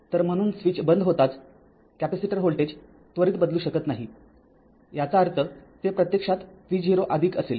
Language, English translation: Marathi, So as soon as the switch is close that your what you call capacitor voltage cannot change instantaneously that means, it will be actually v 0 plus